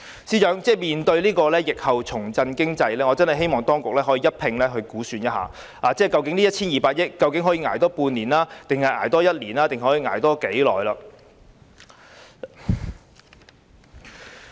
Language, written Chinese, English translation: Cantonese, 司長，面對疫後需要重振經濟，我真的希望當局可以一併估算這 1,200 億元可以多捱半年、一年或多長的時間？, Secretary I really hope the authorities will assess whether this 120 billion can sustain another six months a year or for any period of time